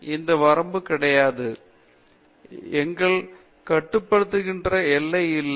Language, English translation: Tamil, So, there is no limit, no boundary that restricts us